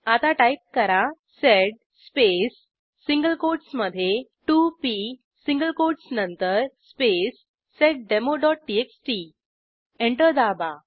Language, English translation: Marathi, To only print the second line Type sed space n space 2p after the single quotes space seddemo.txt Press Enter